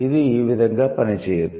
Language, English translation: Telugu, That doesn't work in this way